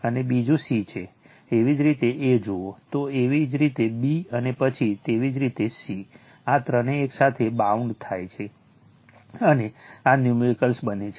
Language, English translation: Gujarati, And another c if you see a, then your b your b, and then your c, all this three bounds together, and this numerical is formed right